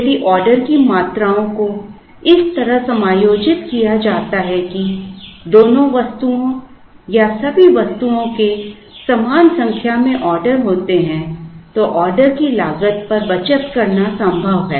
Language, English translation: Hindi, If the order quantities are adjusted such that, both the items or all the items have equal number of orders, then it is possible to save on the order cost